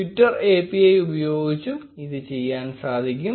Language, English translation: Malayalam, That can also be done using the Twitter API